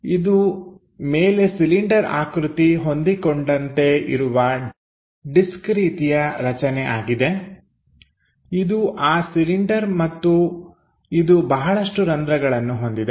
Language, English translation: Kannada, It is a disk typeobject having a cylinder attached on top, this is the cylinder and it contains many holes